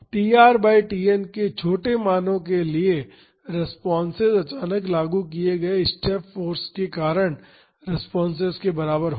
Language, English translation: Hindi, For smaller values of tr by Tn the responses similar to that due to the suddenly applied step force